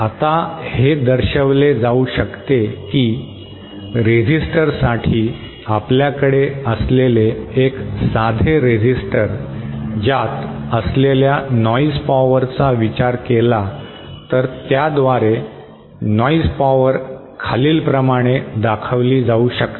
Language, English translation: Marathi, Now, it can be shown that for a resistor, a simple resistor that we have if it exhibits, if we consider a noise power that is present inside a resistor then the noise power can be given by this